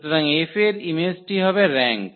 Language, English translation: Bengali, So, image of F will be the rank